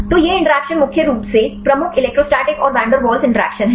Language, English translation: Hindi, So, these interactions are mainly dominant electrostatic and van der Waals interactions